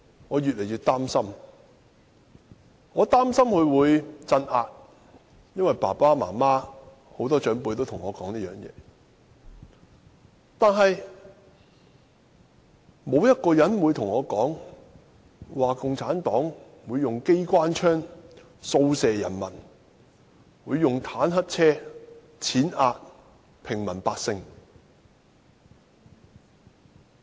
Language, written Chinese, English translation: Cantonese, 我越來越擔心會出現鎮壓，因為父母和很多長輩也這樣對我說，但沒有人告訴我，共產黨會用機關槍掃射人民，會用坦克車踐壓平民百姓。, I was getting more and more worried that suppression would occur because my parents and many elders told me so but no one told me that CPC would shoot at the people with machine guns and run over them with tanks